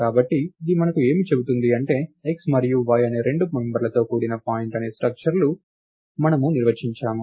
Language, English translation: Telugu, So, what this gives us is, we define a structure called point with two members x and y